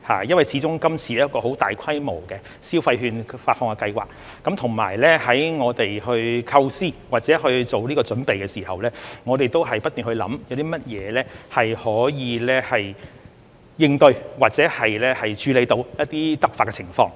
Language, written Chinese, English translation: Cantonese, 因為今次始終是一項很大規模的消費券發放計劃，我們在構思或做準備的時候，均不斷思考有甚麼可以應對或處理到一些突發情況。, Since this is a large - scale scheme of disbursement of consumption vouchers we kept pondering during the design or preparation what could be done to cope with or deal with unforeseen circumstances